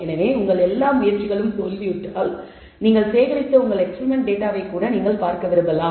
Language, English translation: Tamil, So, when all your attempts have failed you may want to even look at your experimental data that you have gathered